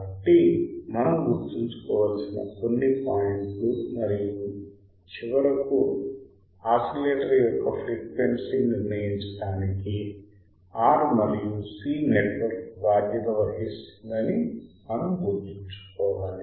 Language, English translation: Telugu, So, that are the few points that we have to remember and finally, what we have to remember that the R and C network is responsible for determining the frequency of the oscillator